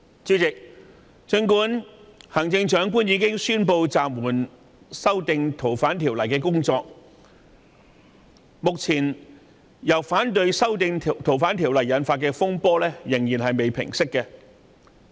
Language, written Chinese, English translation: Cantonese, 儘管行政長官已經宣布暫緩《逃犯條例》的修訂工作，因反對修訂《逃犯條例》而引發的風波仍未平息。, Although the Chief Executive has announced the suspension of the amendment to FOO the row caused by the opposition to the amendment still has not died down